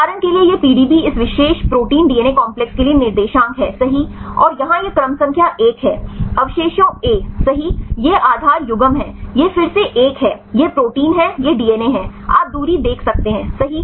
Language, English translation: Hindi, For example this is the PDB coordinates for this particular protein DNA complex right and here this is the sequence number 1, residue a, right this is the base pair this is again one this is the protein this is the DNA, you can see the distance right